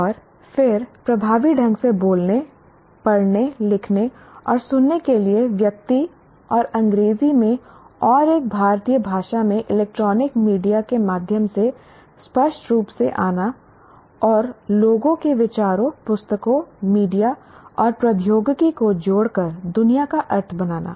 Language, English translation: Hindi, So effective communication, speak, read, write and listen clearly in person and through electronic media in English and in one Indian language and make meaning of the world by connecting people, ideas, books, media and technology